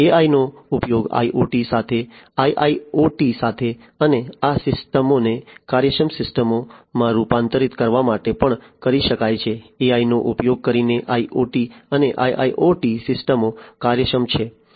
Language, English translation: Gujarati, AI can be used in along with IoT, along with IIoT and also to transform these systems into efficient systems; IoT systems and IIoT systems efficient using AI